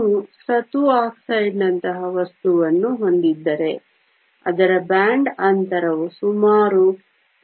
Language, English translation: Kannada, If you had material like zinc oxide, its band gap is around 3